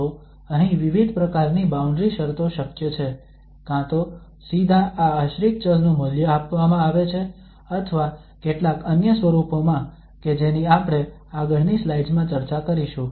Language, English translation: Gujarati, So here there are different types of boundary conditions possible, either directly the value of this dependent variable is given or in some other forms that we will discuss in next slides